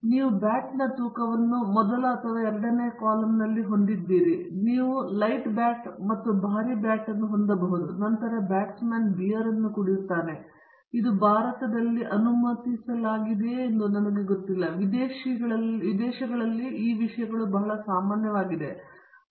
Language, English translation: Kannada, So, we have the type of bat or the weight of the bat in the first or the second column, you can have light bat and heavy bat, and then the batsman drinks beer, I donÕt know whether it is allowed in India by I think in foreign countries these things are pretty common